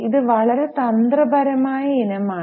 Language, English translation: Malayalam, This is a very tricky item